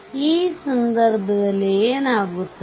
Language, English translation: Kannada, So, in this case what will happen